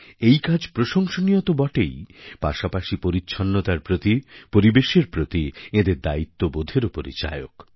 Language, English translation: Bengali, This deed is commendable indeed; it also displays their commitment towards cleanliness and the environment